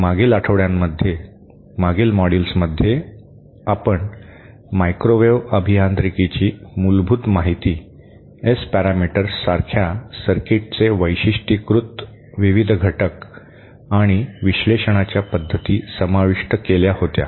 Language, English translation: Marathi, in the previous modules in the previous weeks, we had covered the basics of microwave engineering, the various parameters associated with characterising a circuit like S parameters and also the methods for analysing